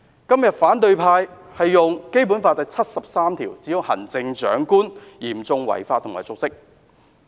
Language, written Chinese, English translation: Cantonese, 今天反對派引用《基本法》第七十三條，指控行政長官嚴重違法及瀆職。, Members of the opposition camp invoked Article 73 of the Basic Law today accusing the Chief Executive of serious breach of law andor dereliction of duty